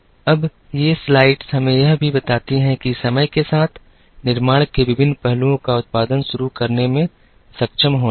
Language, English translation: Hindi, Now, these slides also tell us, how over a period of time, various aspects of manufacturing starting from being able to produce